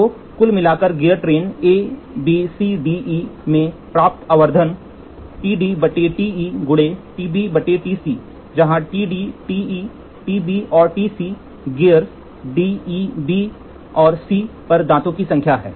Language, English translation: Hindi, So, the overall magnification obtained in the gear train A B C D and E is given by TD by TE into TB by TC, where TD, TE, TB and TC are the number of teeth on the gears D, E, B, and C, respectively